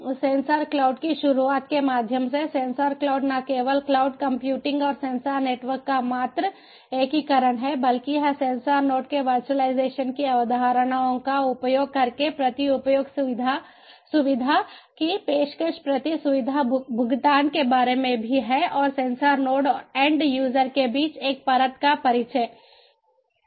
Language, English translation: Hindi, so sensor cloud is not only the mere integration of cloud computing and sensor networks, but it is also about pay per use facility, offering pay per use facility using the concepts of virtualization of the sensor node and introducing a layer between sensor node and the end user